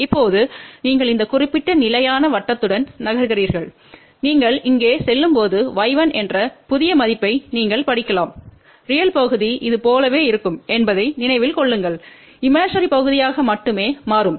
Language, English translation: Tamil, Then now you move along this particular constant circle and when you move along this here you can read the new value which is y 1 remember real part will be same as this imaginary part will only change